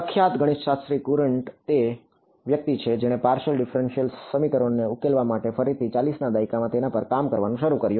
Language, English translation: Gujarati, The famous mathematician Courant is the person who began to work on it in the 40s again for solving partial differential equations